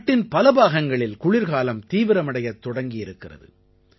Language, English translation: Tamil, A large part of the country is also witnessing the onset of winter